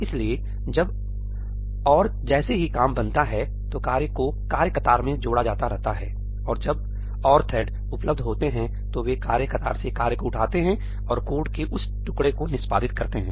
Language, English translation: Hindi, So, as and when the work gets created, the work keeps on getting added to the task queue, and as and when threads are available, they come and pick up the work from the task queue and execute that piece of code